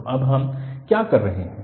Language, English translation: Hindi, So, what we are doing now